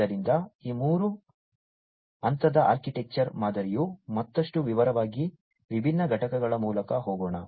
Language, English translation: Kannada, So, this three tier architecture pattern let us go through the different components, in further more detail